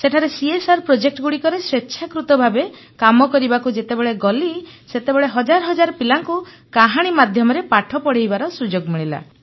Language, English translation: Odia, Having gone then for voluntary work for CSR projects, I got a chance to educate thousands of children through the medium of stories